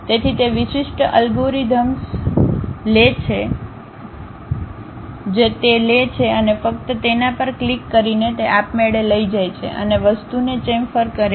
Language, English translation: Gujarati, So, that specialized algorithms it takes and by just clicking it it automatically takes and chamfers the thing